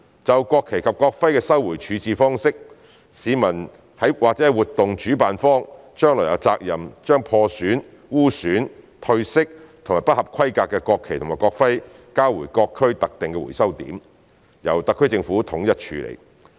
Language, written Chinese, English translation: Cantonese, 就國旗及國徽的收回處置方式，市民或活動主辦方將來有責任將破損、污損、褪色或不合規格的國旗及國徽交回各區特定的回收點，由特區政府統一處理。, Regarding the mechanism on the recovery of national flags and national emblems citizens or event organizers will be responsible for returning any damaged defiled faded or substandard national flags and national emblems to designated collection points for central handling by the SAR Government